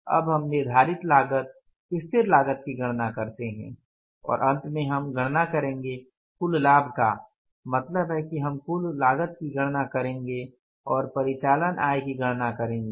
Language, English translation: Hindi, Fixed cost and finally we will calculate the, say your total profit means the total cost we will calculate and we will calculate the operating income